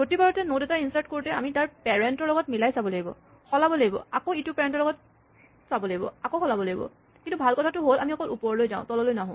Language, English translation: Assamese, In each time we insert a node, we have to check with its parent, swap, check with its parent, swap and so on, but the good thing is we only walk up a path we never walk down a path